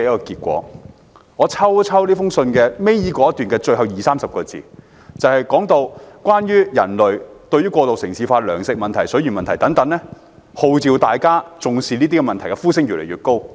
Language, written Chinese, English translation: Cantonese, 這封信倒數第二段的最後二三十個字，提到過度城市化、糧食問題和水源問題等，而號召大家正視這些問題的呼聲越來越高。, The last lines of the second last paragraph of this letter refer to urban living food production and water control and voices have become louder and louder warning of such problems